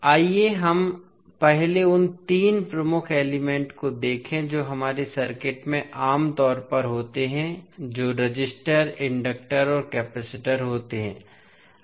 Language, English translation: Hindi, So, let us first see the three key elements which we generally have in our circuit those are resisters, inductors and capacitors